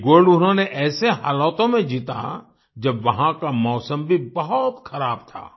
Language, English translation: Hindi, He won this gold in conditions when the weather there was also inclement